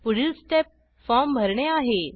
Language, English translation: Marathi, Next step is to fill the form